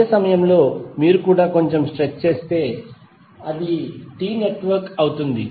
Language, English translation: Telugu, At the same time, you could also, if you stretch it a little bit, it will become a T network